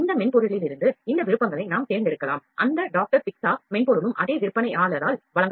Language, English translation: Tamil, We can select these options from this software when we will work on that doctor Picza software is also supplied by the same vendor